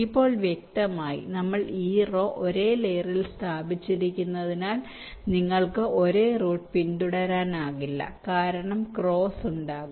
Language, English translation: Malayalam, now, obviously, since we have laid out this line on the same layer, you cannot follow the same route because there would be cross